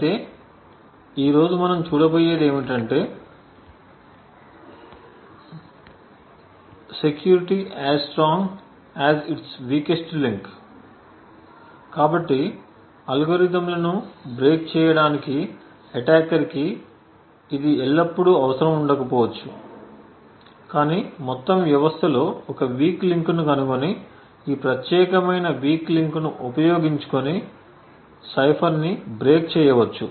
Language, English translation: Telugu, However what we will see today is that security is as strong as it is weakest link so we see that it may not be always required for attackers to break the algorithms but just find one weak link in the entire system and utilize that particular weak link to break the cipher